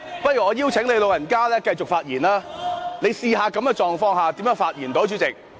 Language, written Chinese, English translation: Cantonese, 不如我邀請你"老人家"繼續發言，你試試看，在這種情況下如何能夠發言？, Let me invite your goodself to continue speaking . You try speaking under such circumstances . Please be fair